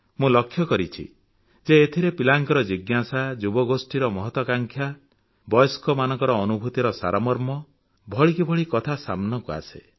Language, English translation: Odia, I have come across the inquisitiveness of children, the ambitions of the youth, and the gist of the experience of elders